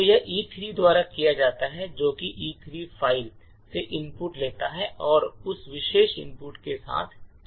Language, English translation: Hindi, So, this is done by at E3 so which would take the input from the file E3 and run with that particular input